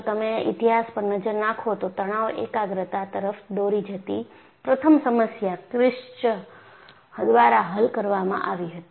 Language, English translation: Gujarati, If you look at the History, the first problem leading to stress concentration was solved by Kirsch